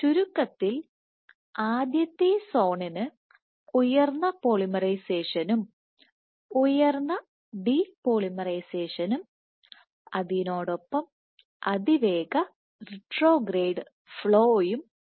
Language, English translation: Malayalam, So, what you have, so in essence the first zone has high polymerization and high de polymerization plus fast retrograde flow